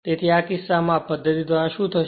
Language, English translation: Gujarati, So, in this case what will happen the by this method